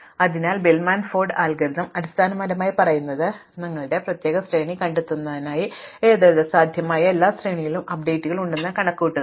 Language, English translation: Malayalam, So, Bellman Ford algorithm basically says do not try to find the particular sequence, just generally compute all possible sequence have updates